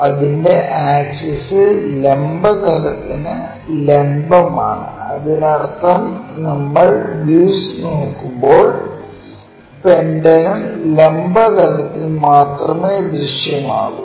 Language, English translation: Malayalam, So, axis is perpendicular to vertical plane that means, when we are looking the view the pentagon will be visible only on the vertical plane